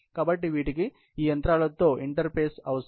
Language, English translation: Telugu, So, they need an interface with these machines